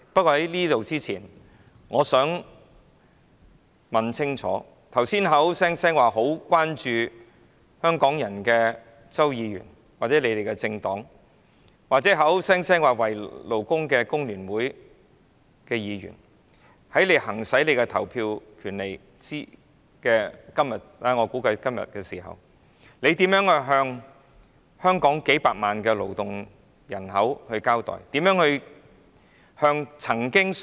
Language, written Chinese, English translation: Cantonese, 可是，我想問清楚剛才表示非常關注工人的周議員或其政黨，以及表示為工人積極爭取權益的工聯會議員，在表決時，他們如何向數百萬勞動人口交代？, However I would like to ask Mr CHOW who have just expressed concern about workers or his party as well as FTU Members who said that they have actively fought for workers rights and interests how they can give an account to millions of workers when they vote